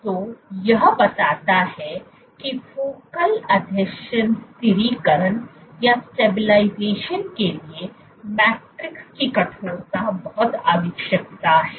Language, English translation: Hindi, So, this suggests that matrix stiffness is necessary for focal adhesion stabilization